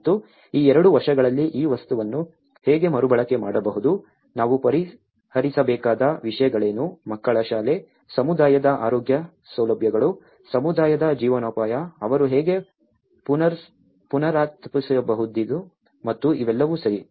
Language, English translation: Kannada, And there are issues like how this material could be reused in these two years, what are the things we have to address, children schooling, the community's health facilities, communityís livelihood, how they can regenerate and all these, okay